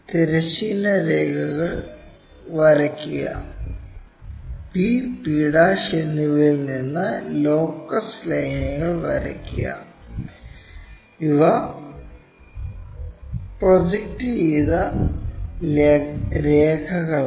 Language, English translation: Malayalam, Draw horizontal lines, locus lines both from p and p', these are the projected lines